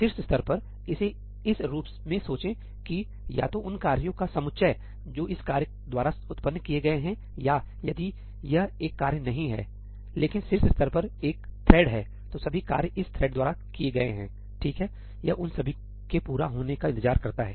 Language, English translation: Hindi, At the top level, think of it as that either the set of tasks that have been spawned by this task, or if this is not a task, but a thread at the top level, then all the tasks spawned by this thread; right, it waits for all of them to complete